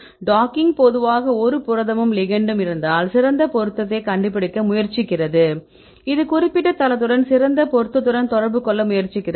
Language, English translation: Tamil, So, docking generally tries to find the best match if you have a protein as well as your ligand, it try to interact with the particular site with the best match